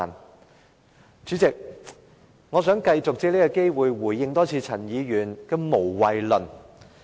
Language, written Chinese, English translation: Cantonese, 代理主席，我想繼續借此機會再回應陳議員的"無謂論"。, Deputy President I wish to continue to take this chance to respond to Mr CHANs theory of meaninglessness